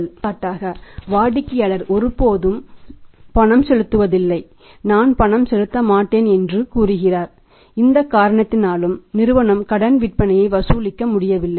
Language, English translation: Tamil, And for example in customer never pays he defaults he says that I will not pay and maybe because of any reason firm is not able to collect that credits sales